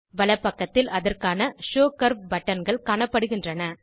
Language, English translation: Tamil, On the rightside corresponding Show curve buttons are seen